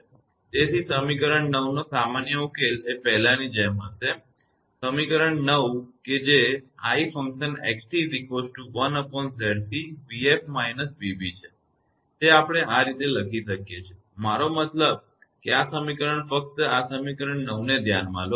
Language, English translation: Gujarati, Hence the general solution of equation 9 same as before; the equation 9 we can write i x t is equal to i f plus i b, I mean this equation just hold on this equation 9 right